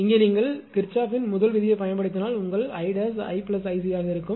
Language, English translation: Tamil, Here if you apply Kirchhoff's first law here, I dash will be your I plus I c